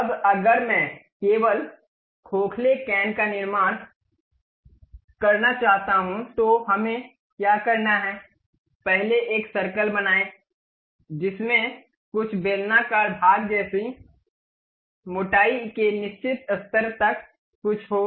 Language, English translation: Hindi, Now, if I would like to really construct only hollow cane, what we have to do is, first create a circle give something like a cylindrical portion up to certain level of thickness